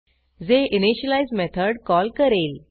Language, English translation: Marathi, This will invoke the initialize method